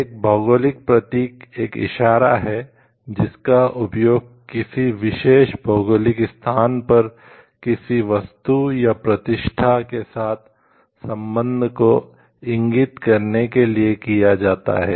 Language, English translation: Hindi, Geographical indication is a sign used on goods that denotes the belongingness of the goods or reputation to a particular geographical location